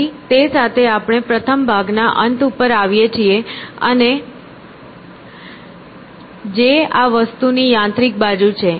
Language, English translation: Gujarati, So, with that we come to the end of the first part which is the mechanical side of this thing